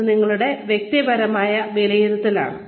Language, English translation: Malayalam, This is your own personal assessment